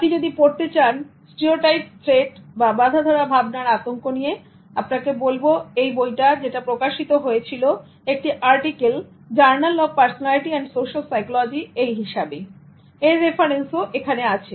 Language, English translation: Bengali, If you want to read more about stereotype threat, you can also refer to the book and part of which is published as an article in the Journal of Personality and Social Psychology